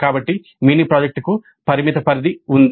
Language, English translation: Telugu, So, the mini project has a limited scope